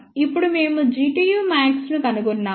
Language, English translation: Telugu, Now, you find out G tu max